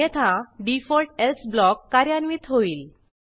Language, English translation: Marathi, otherwise the default else block will get execute